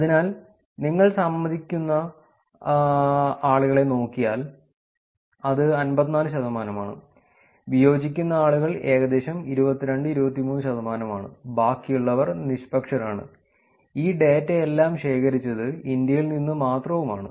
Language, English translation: Malayalam, So, essentially if you look at just the people who are agreeing, it is 54 percent, people who are disagreeing is about 22 23 percent and rest are in neutral that just to share that and all of this data was collected only in India